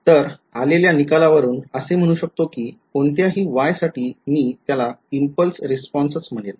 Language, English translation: Marathi, So, as a result whatever Y I have got I call it the impulse response ok